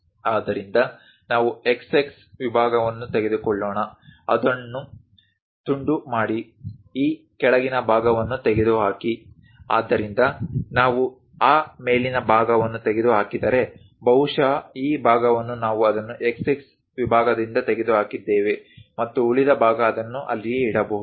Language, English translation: Kannada, So, let us take a section x x, slice it; remove this top portion, so that if we remove that top portion, perhaps this part we have removed it by section x x and the remaining part perhaps kept it there